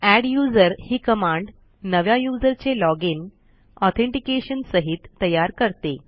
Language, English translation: Marathi, The adduser command will create a new user login for us along with authentication